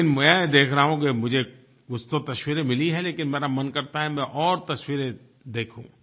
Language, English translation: Hindi, I see that I have got some pictures, but I want to see many more pictures